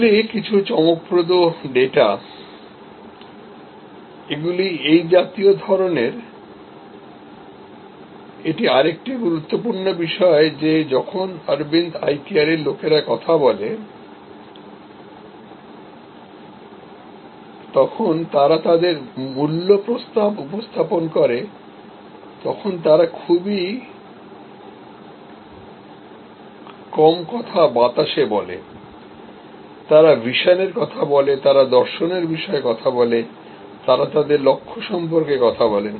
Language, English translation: Bengali, These are some startling data, these are the kind of… This is another important point that when people from Aravind Eye Care they speak, when they present their value proposition, they very seldom talk in the air, they do talk about vision, they do talk about philosophy, they do talk about their mission